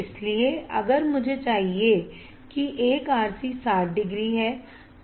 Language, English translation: Hindi, So, if I want one RC is 60 degrees